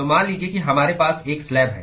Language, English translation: Hindi, So, let us say we have a slab